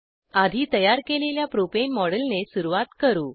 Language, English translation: Marathi, Lets begin with the model of Propane, which we had created earlier